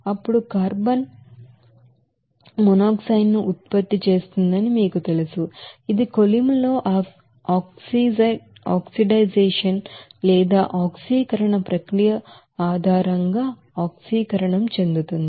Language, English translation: Telugu, Then carbon will be you know producing carbon monoxide which will be in oxidized based on that oxidation process in the furnace